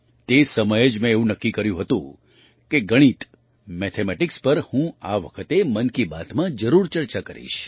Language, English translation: Gujarati, At that very moment I had decided that I would definitely discuss mathematics this time in 'Mann Ki Baat'